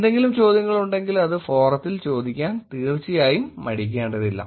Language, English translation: Malayalam, And of course, if there is any questions feel free to drop it on the forum